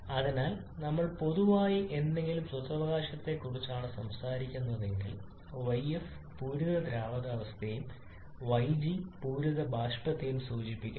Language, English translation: Malayalam, So if we are talking about any general intrinsic property y then yf refers to the saturated liquid and yg refers to the saturated vapor